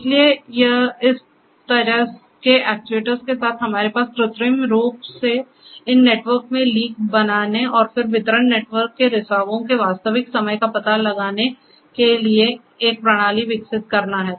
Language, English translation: Hindi, So, with this the kind of actuators we have we artificially create leaks in these networks and then developing a system for the real time detection of the leakages from the distribution network